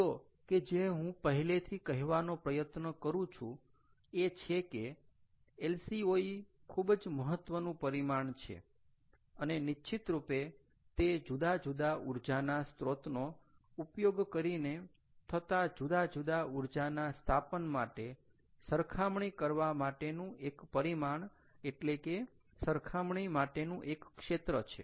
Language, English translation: Gujarati, the point that i am trying to drive home is: yes, lco is a very good metric, its a level playing field to compare different energy installations, energy installations, ah, you know, using different sources of energy